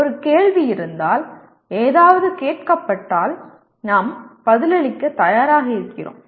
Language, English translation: Tamil, If there is a question, if there is something that is asked, we are willing to respond